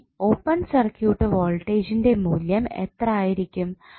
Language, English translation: Malayalam, Now, what would be the value of open circuit voltage